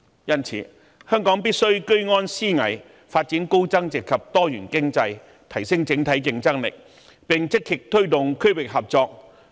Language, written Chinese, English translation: Cantonese, 因此，香港必須居安思危，發展高增值及多元經濟，提升整體競爭力，並積極推動區域合作。, Thus Hong Kong must remain vigilant in peacetime and develop a high value - added and diversified economy to enhance our overall competitiveness and actively take forward regional cooperation